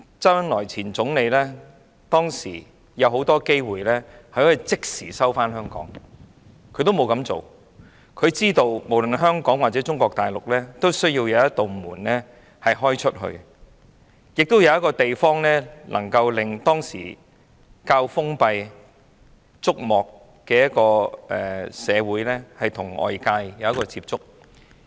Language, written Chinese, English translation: Cantonese, 當時，前總理周恩來有眾多機會可以即時收回香港，但他沒有這樣做，因為他知道內地需要一道向外打開的門，需要一個地方，讓當時較封閉的竹幕社會與外界接觸。, There were many opportunities for ZHOU Enlai to resume the sovereignty of Hong Kong at that time but he did not do so . It is because he knew China needed a window and also a place for the relatively confined society behind the Bamboo Curtain to get in touch with the outside world